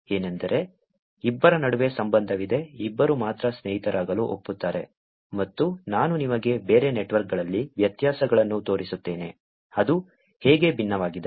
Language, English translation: Kannada, Which is, there is a relationship between two people, only both of them agree to be friends and I will show you differences in other networks, how is it different